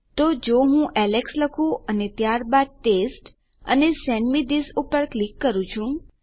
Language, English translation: Gujarati, So if I say Alex and then Test and click on Send me this